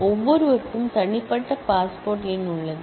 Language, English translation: Tamil, Everybody has a unique passport number